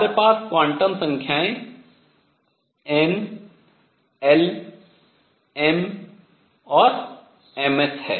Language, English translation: Hindi, We have quantum numbers n, l, m and m s